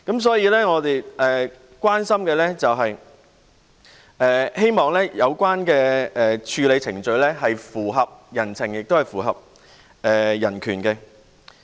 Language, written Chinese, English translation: Cantonese, 所以，我們關心及希望的是，有關的處理程序符合人情及人權。, Therefore what we care and hope for is that the relevant procedures should be compatible with humanity and human rights